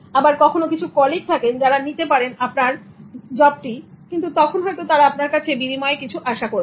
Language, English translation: Bengali, Sometimes there are colleagues who will take the job but then they expect something in exchange